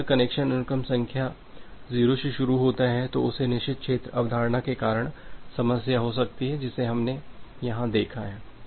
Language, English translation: Hindi, If every connection starts from sequence number 0 then that can be a problem because of that forbidden region concept that we have looked at here